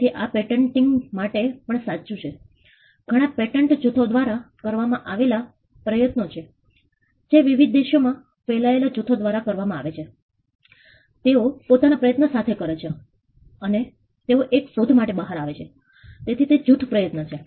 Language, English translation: Gujarati, So, this is true for patenting too many of the patents are group efforts done sometimes by teams that are spread across in different countries they put their efforts together and they come up with an invention, so they are group effort